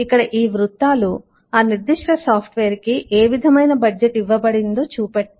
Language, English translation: Telugu, so here this bubbles, this circles, show the kind of budget that eh, that particular software had